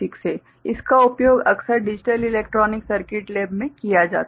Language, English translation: Hindi, It is often used in the digital electronic circuit lab